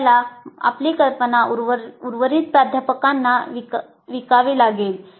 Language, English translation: Marathi, So you have to sell your idea to the rest of the faculty